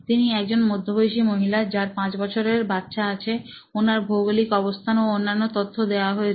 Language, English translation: Bengali, So, this is her persona of a middle age mother with her 5 year child and the geography is given and all the detailing is done